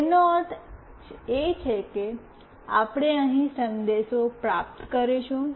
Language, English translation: Gujarati, It means we will be able to receive message here